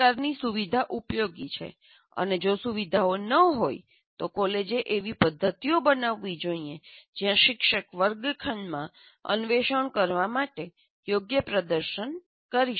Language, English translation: Gujarati, And one should, if the facilities are not there, the college should create such mechanisms where teacher can demonstrate right in the classroom to explore